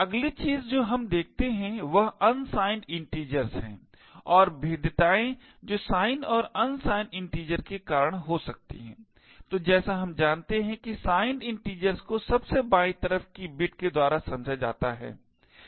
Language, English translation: Hindi, The next thing we look at is unsigned integers and the vulnerabilities that can be caused by due to sign and unsigned integers, so as we know signed integers are interpreted using the most significant bit